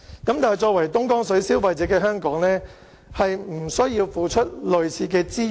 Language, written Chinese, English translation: Cantonese, 但是，作為東江水消費者的香港並不需要付出類似的資源。, However Hong Kong as the consumer of Dongjiang water need not put in such resources